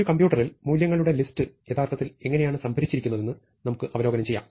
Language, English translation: Malayalam, So, let us review how lists of values are actually stored in a computer